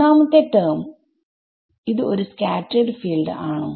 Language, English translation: Malayalam, For the first term, is it a scattered field